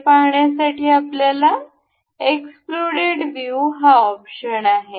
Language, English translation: Marathi, To see that, we have this option exploded view